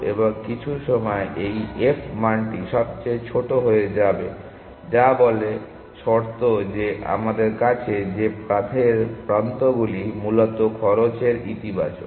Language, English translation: Bengali, And at some point this f value will become the smallest that is say condition that we have that the paths are edges are positive in cost essentially